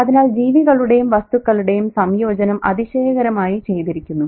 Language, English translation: Malayalam, So the association of creatures and stuff is fantastically done